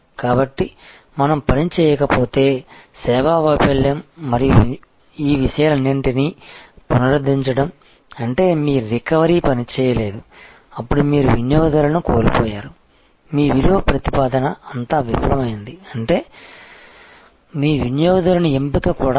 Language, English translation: Telugu, So, service failure and recovery all of these things if we are not worked; that means, it has failed your recovery did not work then you have loss the customer, all your value proposition; that means, your customers selection itself was wrong